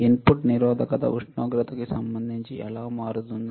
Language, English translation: Telugu, How the input resistance will change